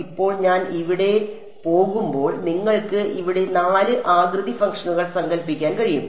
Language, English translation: Malayalam, Now when I go over here this I can you conceivably have four shape functions over here